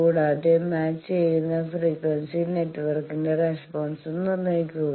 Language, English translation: Malayalam, Also determine the frequency response of the matching network